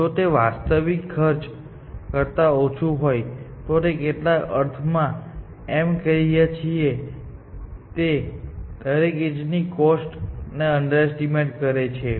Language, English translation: Gujarati, If this is less than the actual h cost, in some sense, we are saying that it is underestimating the edge, every edge cost, essentially